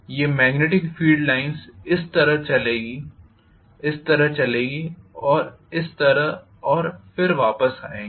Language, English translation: Hindi, These magnetic field lines are going to flow like this, flow like this and then flow like this and come back